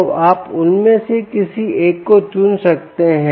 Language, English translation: Hindi, right, so you could choose any one of them, right